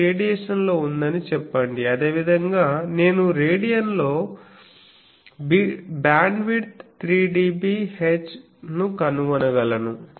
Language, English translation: Telugu, Let us say it is in radian similarly I can find out beam width 3 dB H in radian